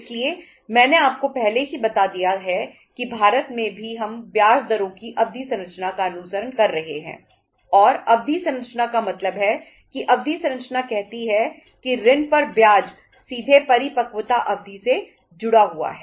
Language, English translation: Hindi, So I have already told you that in India also we are following the term structure of interest rates and term structure is means term structure says that the interest on the loan is directly linked to the maturity period